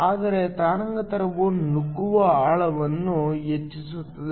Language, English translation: Kannada, Whereas the wavelength increases the penetration depth also increases